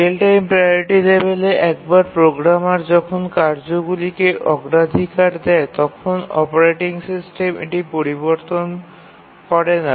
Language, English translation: Bengali, What we mean by real time priority levels is that once the programmer assigns priority to the tasks, the operating system does not change it